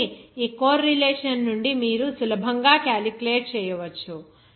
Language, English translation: Telugu, So, from this correlation, you can easily calculate